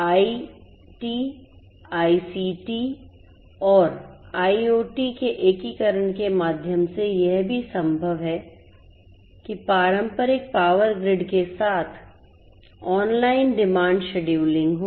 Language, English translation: Hindi, It is also possible through the integration of IT, ICT and IoT with the traditional power grid to have online demand scheduling